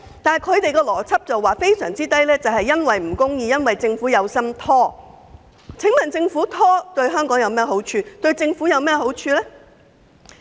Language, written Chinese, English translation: Cantonese, 按他們的邏輯，數字偏低是由於程序不公，政府有心拖延，但這對香港和政府有何好處？, According to their logic the small number is due to unfair procedures and the Government has deliberately procrastinated . But what good will this do to Hong Kong and the Government?